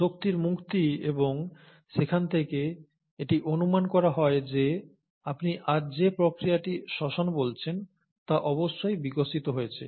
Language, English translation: Bengali, The release of energy, and that is where it is postulated that the mechanism of what you call today as respiration must have evolved